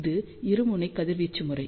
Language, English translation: Tamil, Now, this is the dipole radiation pattern